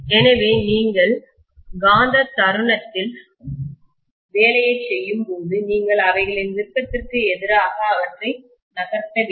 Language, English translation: Tamil, So when you do the work on the magnetic moment, you have to essentially move them against their will, right